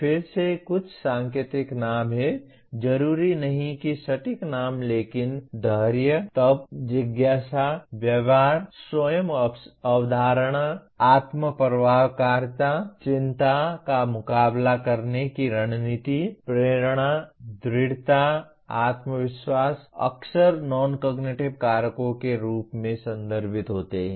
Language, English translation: Hindi, Again these are some indicative names, not necessarily exact names but grit, tenacity, curiosity, attitude self concept, self efficacy, anxiety coping strategies, motivation, perseverance, confidence are some of the frequently referred to as non cognitive factors